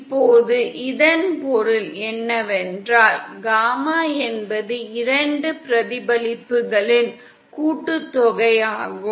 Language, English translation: Tamil, Now what it means is that gamma in is the sum of 2 reflections